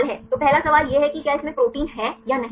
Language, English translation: Hindi, So, first the question is whether it containing protein right yes or no